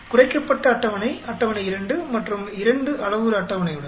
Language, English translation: Tamil, The reduced table with 2 table with 2 parameter table